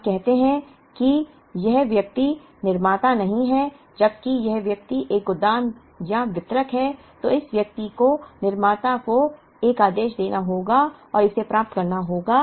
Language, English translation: Hindi, Let us say this person is not a manufacturer whereas, this person is a warehouse or a distributor then this person has to place an order to the manufacturer and to get it